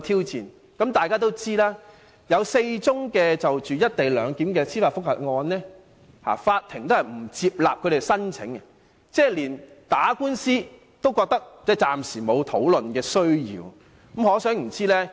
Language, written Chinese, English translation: Cantonese, 然而，大家都知道，有4宗就"一地兩檢"提出司法覆核的申請不獲法庭接納，這就是說，暫時沒有需要打官司。, However as we all know four applications for judicial review against the co - location arrangement have been rejected by the court which means that there is no need for instituting any legal proceedings for the time being